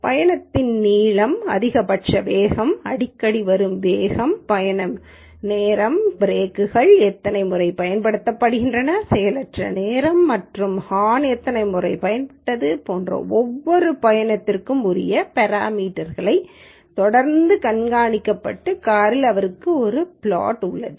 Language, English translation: Tamil, He has a facility in the car which continuously monitors the following parameters for each trip such as trip length, maximum speed, most frequent speed, trip duration, number of times the brakes are used, idling time and number of times the horn is being hogged